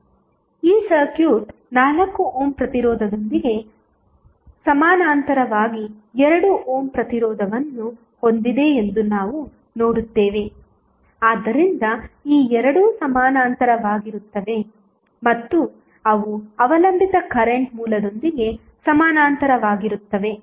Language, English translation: Kannada, We just see that this circuit contains 2 ohm resistance in parallel with 4 ohm resistance so these two are in parallel and they in turn are in parallel with the dependent current source